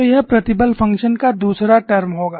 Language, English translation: Hindi, So, that would be the second term of the stress function